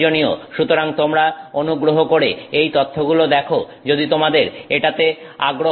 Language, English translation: Bengali, So, please look up this information if it is of interest you